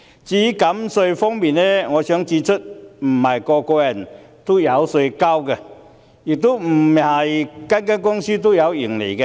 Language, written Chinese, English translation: Cantonese, 至於減稅方面，我想指出，不是每個人都需要繳稅，亦不是每間公司都有盈利。, As for the tax concession I would like to point out that not everyone has to pay tax and not every company enjoys a profit